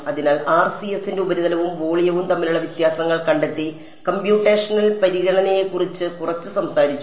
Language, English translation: Malayalam, So, differences between surface and volume found of the RCS and spoke a little about computational considerations